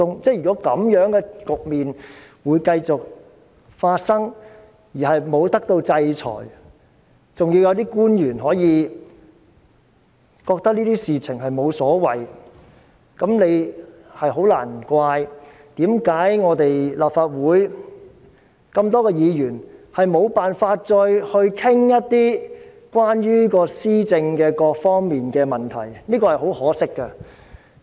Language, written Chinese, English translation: Cantonese, 這樣的局面繼續發生而沒有人受到制裁，還有一些官員認為這些事情無所謂，難怪立法會眾多議員沒有辦法再討論一些關於施政各方面的問題，這是十分可惜的。, Some officials even do not care at all . No wonder so many Members of the Legislative Council can no longer discuss issues pertaining to various aspects of policy implementation . This is very regrettable